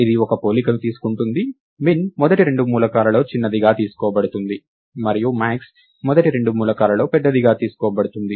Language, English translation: Telugu, This takes one comparison; min is taken to be the smaller of the first two elements, and max is taken to be the larger of the first two elements